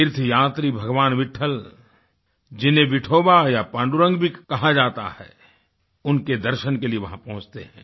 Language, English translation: Hindi, Pilgrims go to have a darshan of Vitthal who is also known as Vithoba or Pandurang